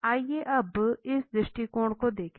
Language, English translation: Hindi, Now let us look at this approach